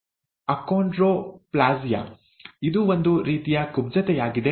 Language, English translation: Kannada, Achondroplasia, which is a kind of dwarfism, okay